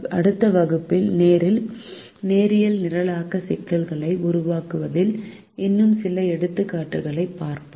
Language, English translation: Tamil, in this class we look at some more aspects of formulating linear programming problems